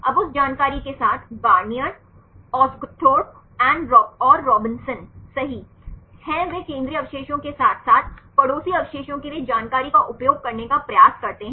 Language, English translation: Hindi, Now, with that information Garnier, Osguthorpe and Robson right they try to use information for the central residue as well as the neighboring residues